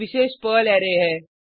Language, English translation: Hindi, @ is a special Perl array